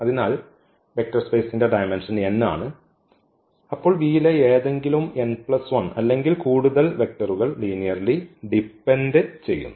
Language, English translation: Malayalam, So, the dimension of the vector space is n, then any n plus 1 or more vectors in V are linearly dependent